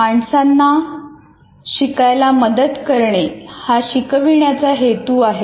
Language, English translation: Marathi, The purpose of instruction is to help people learn